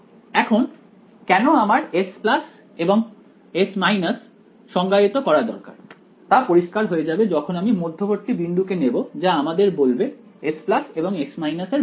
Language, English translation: Bengali, Now, why I need to define this S plus and S minus will become clear as I go I may as well just have said pick the midpoint why to tell you about S plus and S minus ok